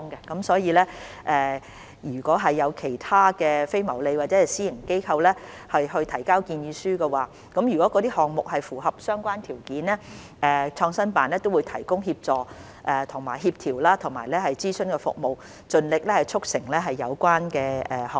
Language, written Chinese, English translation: Cantonese, 因此，如果有其他非牟利或私營機構提交建議書，而那些項目亦符合相關條件，創新辦都會提供協助、協調和諮詢服務，盡力促成有關的項目。, Therefore in case any other non - profit - making or private organizations submit proposals and the projects can meet the relevant criteria PICO will provide assistance coordination and consultation services to facilitate the relevant projects by all means